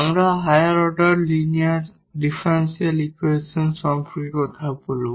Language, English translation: Bengali, So, that is a particular case of more general linear differential equations